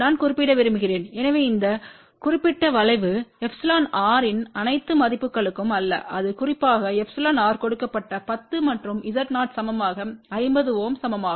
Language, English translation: Tamil, I just to want to mention, so this particular curve is not for all values of epsilon r this is specifically given for epsilon r equal to 10 and Z 0 equal to 50 ohm